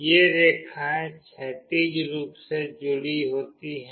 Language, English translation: Hindi, These lines are horizontally connected